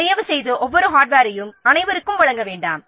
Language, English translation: Tamil, See, please do not provide everyone with the every piece of hardware